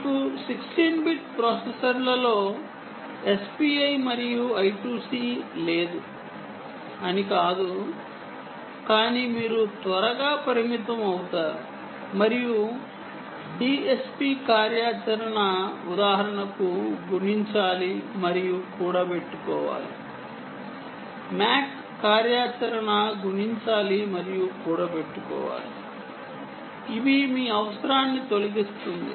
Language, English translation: Telugu, ok, not that you dont have s p i and i, two c on sixteen bit processors, but you will be very quickly limited and d s p functionality, for instance, ah multiply and accumulate, right, mac multiply and accumulate functionality will actually eliminate the need for you, um to put a d s p processor